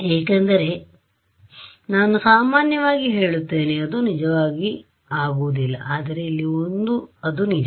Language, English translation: Kannada, Because, I mean in general that will not be true, but here it is true because